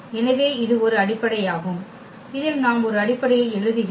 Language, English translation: Tamil, So, this is a set which form a basis we are writing a basis